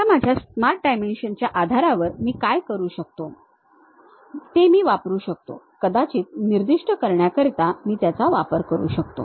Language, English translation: Marathi, Now, based on my dimensions Smart Dimension, what I can do is I can use that maybe specify that